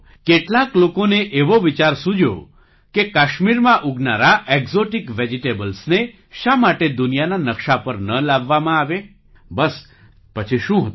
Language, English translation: Gujarati, Some people got the idea… why not bring the exotic vegetables grown in Kashmir onto the world map